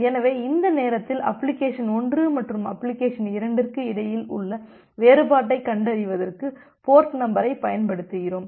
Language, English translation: Tamil, So, during that time we use the concept of port number, to differentiate between application 1 and application 2